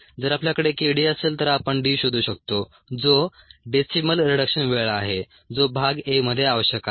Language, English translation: Marathi, if we have k d, we can find out d, which is the decimal reduction time, which is what is you required in part a